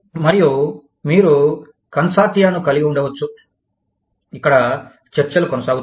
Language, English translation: Telugu, And, you could have consortia, where discussions go on